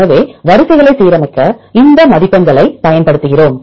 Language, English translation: Tamil, So, we use these score to align sequences